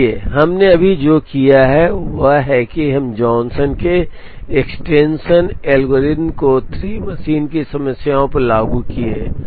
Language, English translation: Hindi, So, what we have done right now is we have simply applied the Johnson's extension algorithm, to a 3 machine problem